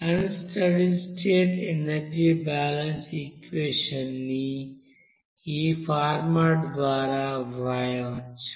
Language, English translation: Telugu, So that unsteady state energy balance equation, we can write by this format